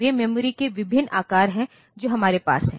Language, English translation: Hindi, They are the different sizes of the memory that we have